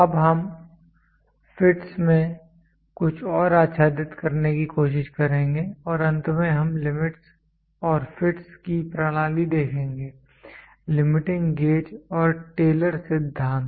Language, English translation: Hindi, Now, we will try to cover some more in fits and finally we will see the systems of limits and fits, limiting gauges and Taylor principle